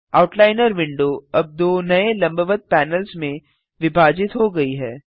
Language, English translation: Hindi, The Outliner window is now divided into two new panels